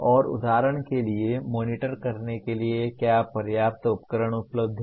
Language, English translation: Hindi, And for example to even monitor, are there adequate tools available